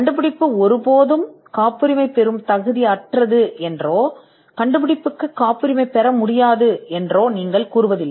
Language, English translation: Tamil, You do not say that the invention is never patentable or you do not say that the invention cannot be patented